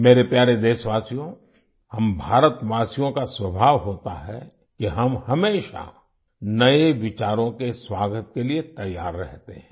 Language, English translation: Hindi, My dear countrymen, it is the nature of us Indians to be always ready to welcome new ideas